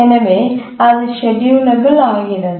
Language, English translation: Tamil, So this is also schedulable